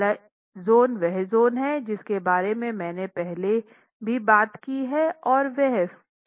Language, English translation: Hindi, The first zone is the zone that I have spoken about earlier and that's pre cracking